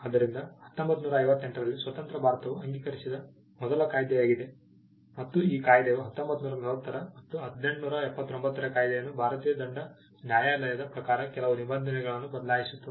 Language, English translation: Kannada, So, 1958 was the first act passed by independent India, and it replaced the 1940 act, the 1889 act and some provisions of the Indian penal court